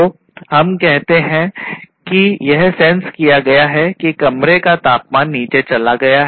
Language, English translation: Hindi, So, let us say that it has been sensed that the temperature has gone down in the room